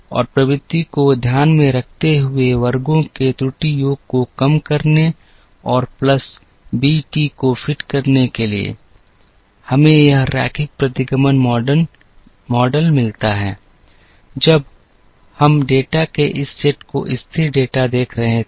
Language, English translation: Hindi, And minimizing error sum of squares considering trend and fitting a plus b t, we get this linear regression model, when we were looking at this set of data the constant data